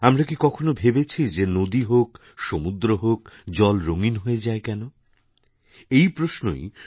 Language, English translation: Bengali, Have we ever thought why water acquires colour in rivers and seas